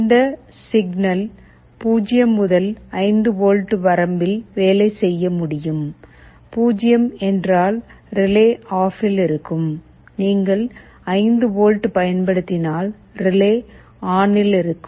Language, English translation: Tamil, This signal can work in 0 to 5 volt range, 0 means relay will be OFF, if you apply 5 volts the relay will be on